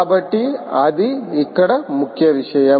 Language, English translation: Telugu, so thats the key thing here